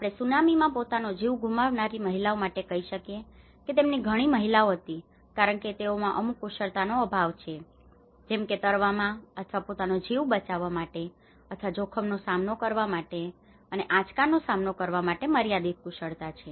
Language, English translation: Gujarati, Let us say for women who have lost their lives in the tsunami many of them were woman because they are lack of certain skills even swimming or protecting themselves so which means there is a skill or there is a limited access for them in facing the risk, facing that particular shock